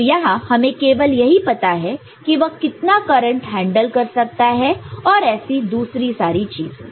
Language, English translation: Hindi, So, here we know how much current it can handle and other things